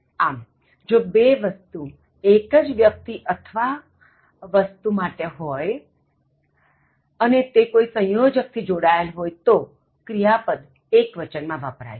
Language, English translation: Gujarati, So, if two subjects refer to the same person or thing, and are joined by an conjunction and, then the verb used is singular